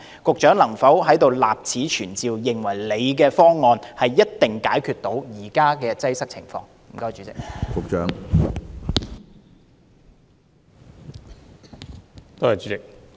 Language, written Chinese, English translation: Cantonese, 局長能否在這裏立此存照，表明你的方案一定能解決現時的擠迫情況呢？, Can the Secretary put on record that your proposal can surely resolve the present congestion problem?